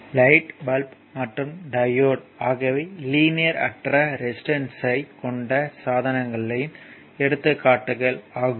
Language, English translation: Tamil, For example, your light bulb and diode are the examples of devices with non linear resistance